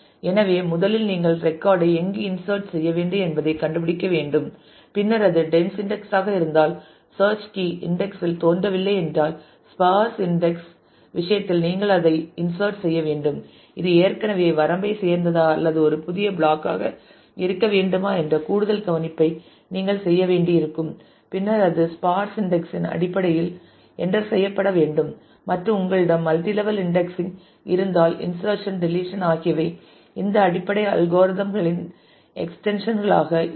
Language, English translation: Tamil, So, first you will have to look up to find out to where the record needs to be inserted and then if it is a dense index if the search key does not appear in the index then you will have to insert it in case of sparse index you will have to do the additional care that whether it already belongs to the range and or whether if it will have to be a new block has to be created then it has to be also entered in terms of the sparse index and if you have multi level indexing then insertion deletion will be extensions of these basic algorithms